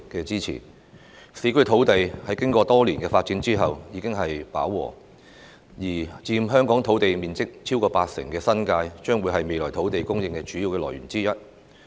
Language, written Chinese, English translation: Cantonese, 市區土地經過多年發展後現已飽和，而佔香港土地面積超過八成的新界，將會是未來土地供應的主要來源之一。, As there is now saturation of urban land after years of development land in the New Territories which accounts for more than 80 % of the land area in Hong Kong will be the major source of land supply in the future